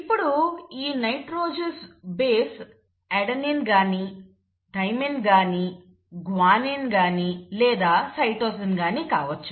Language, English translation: Telugu, Now this nitrogenous base could be either an adenine or a thymine or a guanine or a cytosine